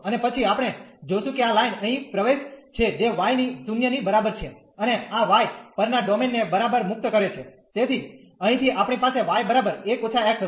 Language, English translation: Gujarati, And then we will see that this line enters here at y is equal to 0 and this leaves the domain at y is equal to so from here we will have y is equal to 1 minus x